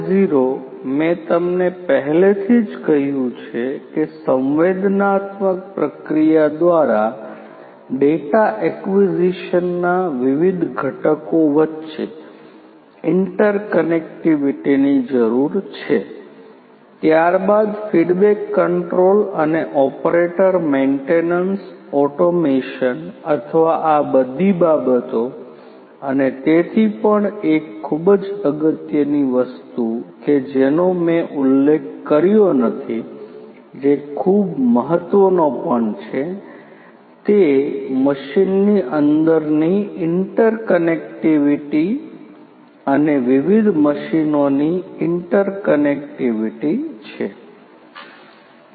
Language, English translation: Gujarati, 0, I have told you already that you need the different the interconnectivity between the different components of data acquisition through sensing processing then the feedback control and also the operator maintenance automation or of all of these things and so on but one of the very important things that I did not mentioned which is also very important is the interconnectivity